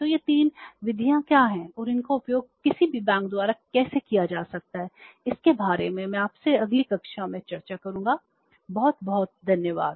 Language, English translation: Hindi, So, what are these three methods and how they can be utilized by any bank that I will discuss with you in the next class